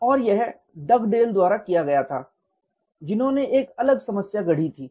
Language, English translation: Hindi, And this was done by Dugdale who coined a different problem